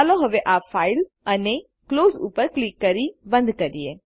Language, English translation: Gujarati, Let us now close this file by clicking on File gtgt Close